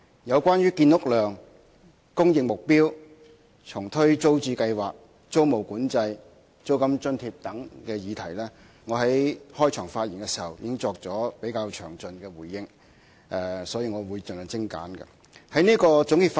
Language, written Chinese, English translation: Cantonese, 有關建屋量、供應目標、重推租置計劃、租務管制、租金津貼等議題，我在開場發言時已作了比較詳盡的回應，所以在總結發言時我會盡量精簡。, In respect of the subjects such as the housing production volume supply target relaunching of the Tenants Purchase Scheme tenancy control and rental subsidy I have already given a rather detailed response in my opening speech . Hence I will try to keep my concluding remarks concise